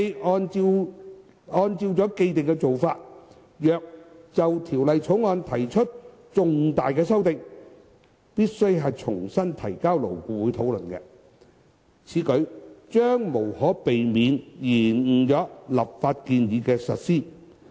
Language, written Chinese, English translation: Cantonese, 按照既定做法，如果就《條例草案》提出重大修訂，須重新提交勞顧會討論。此舉將無可避免延誤立法建議的實施。, Any significant changes to the Bill would have to be reverted to LAB for discussion in accordance with the standing practice which would inevitably delay the implementation of the legislative proposal